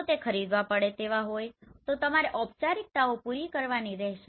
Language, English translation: Gujarati, If it is paid, then you have to do the formalities right